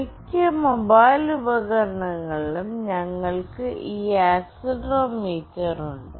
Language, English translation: Malayalam, In most mobile device we have this accelerometer in place